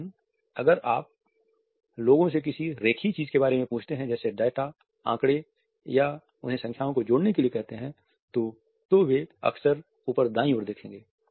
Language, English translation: Hindi, But if you ask people about linear things like data statistics ask them to add up numbers they will quite often look up and to the right